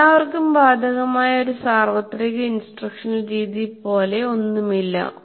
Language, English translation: Malayalam, So there is nothing like a universal instructional method that is applicable to all